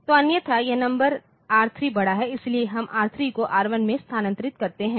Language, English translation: Hindi, So, otherwise this new number R1 is new number R3 is bigger so, we move R3 to R1, ok